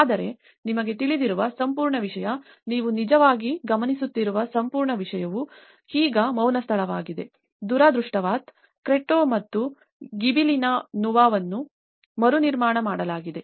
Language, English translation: Kannada, But the whole thing you know, what you actually observe is the whole thing is now a silence place, unfortunately, the Cretto and the Gibellina Nuova which have been rebuilt